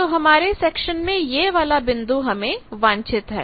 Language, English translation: Hindi, So this in the section point is our desired thing